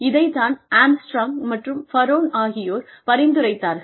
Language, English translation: Tamil, This is something that, the Armstrong and Baron had suggested